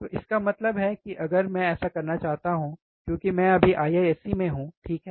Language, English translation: Hindi, So, that means, that if I want to so, since I am right now in IISC, right